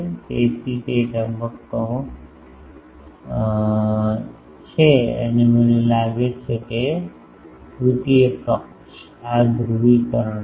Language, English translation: Gujarati, So, that is phase and I think that third parties now sorry this is polarisation